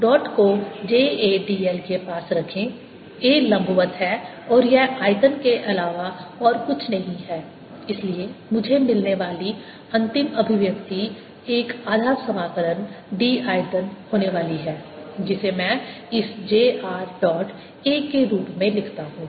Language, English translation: Hindi, put the dot near j a d l, a perpendicular, and this is nothing but the volume, and therefore the final expression i get is going to be one half integral d volume, which i write as this: j r, dot a